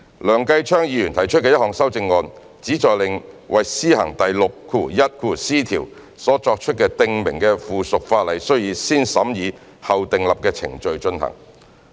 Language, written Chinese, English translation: Cantonese, 梁繼昌議員提出的一項修正案，旨在令為施行第 61c 條所作出的訂明的附屬法例須以"先審議後訂立"的程序進行。, The amendment proposed by Mr Kenneth LEUNG seeks to require the subsidiary legislation in relation to clause 61c to undergo the positive vetting procedure